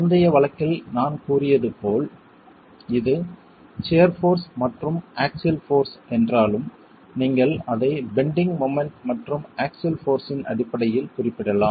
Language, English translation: Tamil, As I said in the previous case, though it is shear force versus axial force, you can represent it in terms of bending moment versus axial force